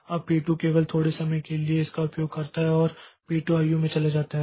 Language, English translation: Hindi, Now, P2 uses it for only a small amount of time and then p2 goes to I